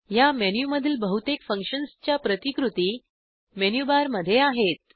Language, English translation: Marathi, Most of the functions in this menu are duplicated in the menu bar